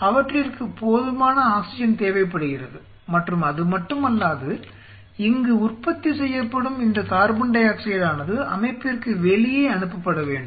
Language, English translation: Tamil, They need sufficient oxygen and not only that this carbon dioxide which is produced here has to be sent outside the system